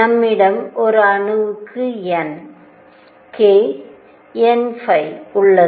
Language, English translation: Tamil, For an atom we have n, we have k, we have n phi